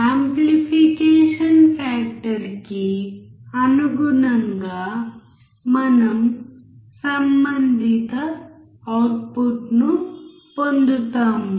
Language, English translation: Telugu, Depending on the amplification factor, we will get the corresponding output